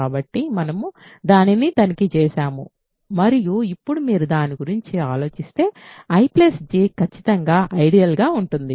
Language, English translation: Telugu, So, we have checked that and now if you think about it I plus J is certainly an ideal